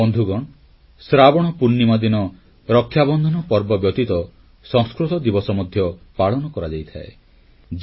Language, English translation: Odia, Friends, apart from Rakshabandhan, ShravanPoornima is also celebrated as Sanskrit Day